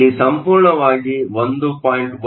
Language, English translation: Kannada, This whole thing is 1